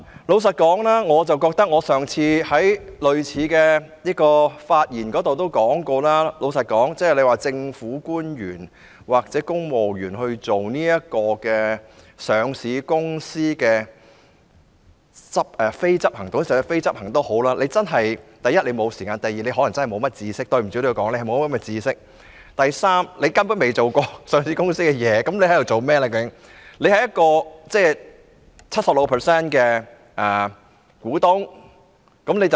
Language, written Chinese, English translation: Cantonese, 老實說，我上次就類似議題發言時也提到，交由政府官員或公務員擔任上市公司的非執行董事，第一，他們真的沒有時間處理；第二，抱歉我要說一句，他們可能欠缺相關知識；以及第三，就是他們根本不曾處理過上市公司的工作。, Frankly as previously mentioned in my speech on a similar subject there are problems in appointing public officers or civil servants as non - executive directors of a listed company . First they really have no time to do the job; second pardon me for saying so they probably lack the relevant knowledge; and third they have never dealt with the operations of a listed company